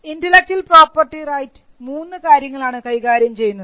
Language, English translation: Malayalam, Now, you will find that intellectual property rights deals with largely 3 things